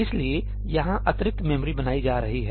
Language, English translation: Hindi, So, additional memory is being created here